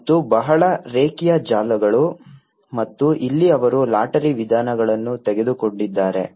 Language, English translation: Kannada, And a very linear networks and here they have taken a lottery approaches